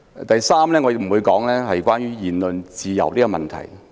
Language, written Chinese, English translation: Cantonese, 第三，我不會討論言論自由。, Third I will not discuss freedom of speech